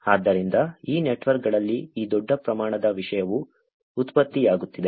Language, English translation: Kannada, So, this large amount of content is getting generated on these networks